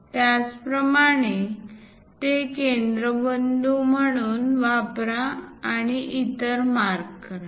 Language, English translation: Marathi, Similarly, use that one as centre; mark other one